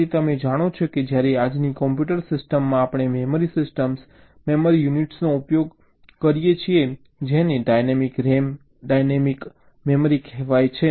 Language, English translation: Gujarati, so you know that when todays computer system we use the memory systems, memory units, using something called dynamic ram, dynamic memory